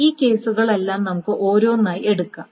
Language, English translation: Malayalam, Now, let us take all of these cases one by one